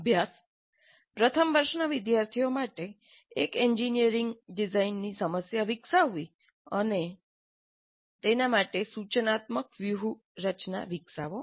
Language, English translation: Gujarati, Develop one engineering design problem for first year students and develop an instructional strategy for it